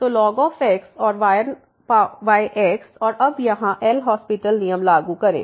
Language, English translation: Hindi, So, and 1 over x and now apply the L’Hospital rule here